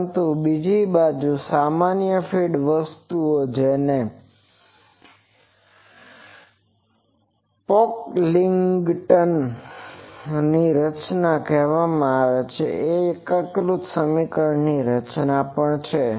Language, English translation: Gujarati, But another general feed thing that is called Pocklington’s formulation that is also integral equation formulation